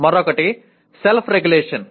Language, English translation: Telugu, The other is self regulation